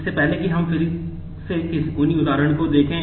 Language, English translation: Hindi, Before that let us just look at the same examples again